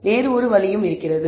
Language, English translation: Tamil, There is also another way